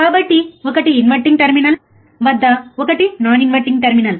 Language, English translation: Telugu, So, one is at inverting terminal one is a non inverting terminal